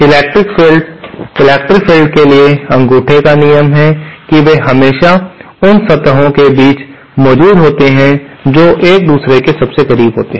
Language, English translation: Hindi, The electric fields, rule of thumb for electric fields is that they are always, they always exist between the surfaces which are closest to each other